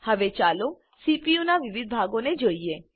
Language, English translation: Gujarati, Now, let us see the various parts of the CPU